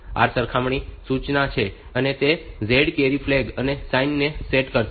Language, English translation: Gujarati, So, this is compare instruction it will set the flags the z carry and sign